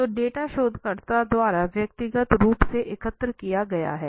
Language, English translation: Hindi, So data are collected personally by the researcher